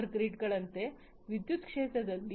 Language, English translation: Kannada, In the power sector like power grids etc